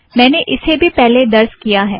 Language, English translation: Hindi, I have already done that